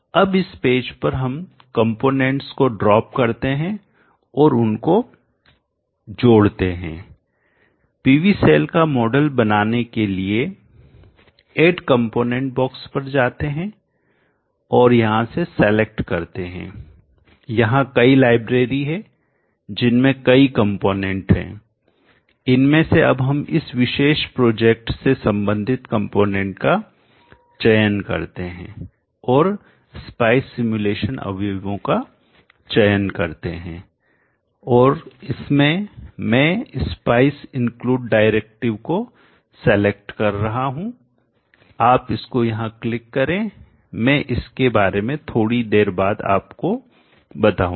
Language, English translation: Hindi, SCH file now into this page let us drop in the components and then connect them to form the model of a PV cell go to the add component box and here you select there are many libraries with components now let us choose the ones relevant for this particular project and choosing spice simulation elements and in that I am selecting the spice include Directive you click that here I will explain it explain about that a bit later